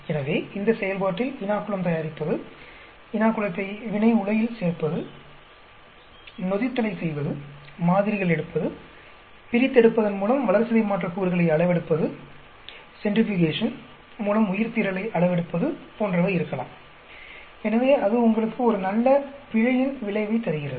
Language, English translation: Tamil, So, the process may contain preparing the inoculum, adding the inoculum to the reactor, carrying out the fermentation, taking out samples, measuring the amount of metabolites by extraction, measuring the amount of biomass by centrifugation; so it gives you a very good measure of error